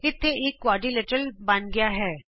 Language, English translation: Punjabi, Here a quadrilateral is drawn